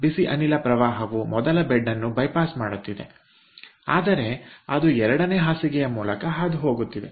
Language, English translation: Kannada, the hot gas stream is bypassing the first bet but it is passing through the second bed